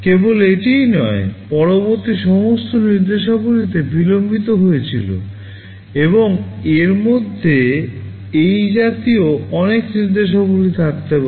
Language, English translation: Bengali, Not only this, all subsequent instructions got delayed and there can be many such instructions like this in between